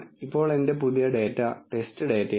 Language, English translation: Malayalam, Now my new data is the test data